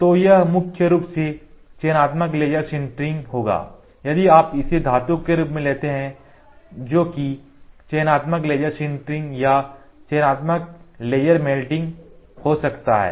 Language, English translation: Hindi, So, it will be more of selective laser sintering, if you take it as metal which can be selective laser sintering or selective laser melting